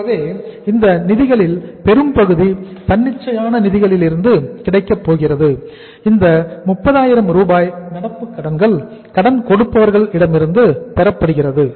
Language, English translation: Tamil, So this much of the funds are going to be available from the spontaneous finance that is the current liabilities sundry creditors 30,000